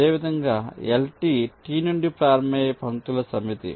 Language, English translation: Telugu, similarly, you have l t, which is the set of lines starting from t